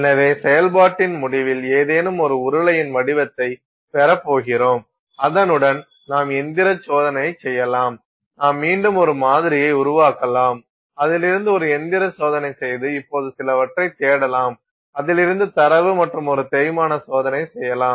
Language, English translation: Tamil, So, at the end of the process you are going to have a cylinder of some form and you can do mechanical testing with it just to see, I mean again make a sample from which you can do a mechanical test and no look for some data from it and you could also do a wear test